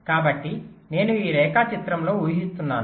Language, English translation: Telugu, let say so i am assuming in this diagram